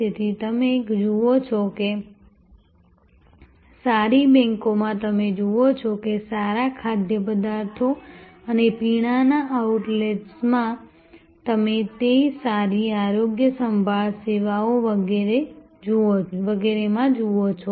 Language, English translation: Gujarati, So, you see that in good banks, you see that in good food and beverage outlets, you see that in good health care services and so on